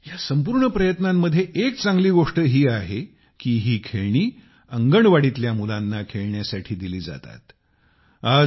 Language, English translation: Marathi, And a good thing about this whole effort is that these toys are given to the Anganwadi children for them to play with